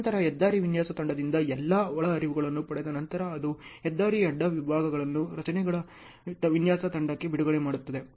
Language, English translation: Kannada, Then from the highway design team, after getting all the inputs it releases highway cross sections to structures design team